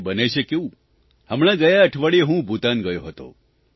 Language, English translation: Gujarati, Just last week I went to Bhutan